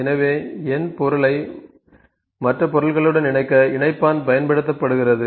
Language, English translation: Tamil, So, connector is used to connect ‘n’ object to the other objects